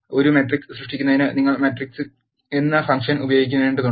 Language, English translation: Malayalam, To create a matrix in R you need to use the function called matrix